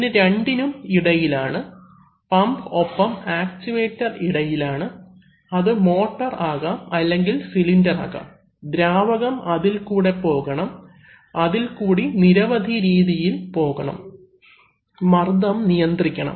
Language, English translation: Malayalam, Now in between these two, that is where the, between the pump and the actuator, which can be a motor or which can be a cylinder, the fluid has to pass and there are, it has to pass in various ways, pressure has to be controlled